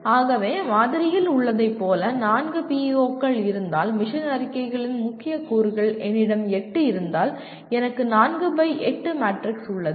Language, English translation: Tamil, So you may have, if I have four PEOs as in the sample and if I have about 8 mission, the key elements of the mission statements, I have a 4 by 8 matrix